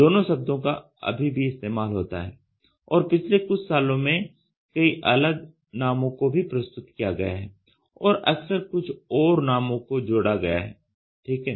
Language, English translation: Hindi, Both terms are still in use and in the past years many different names have been presented and frequently more are added ok